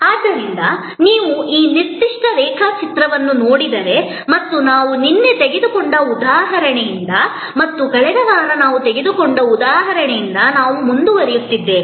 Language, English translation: Kannada, So, if you look at this particular diagram and we are continuing from the example that we had taken yesterday and the example we took last week as well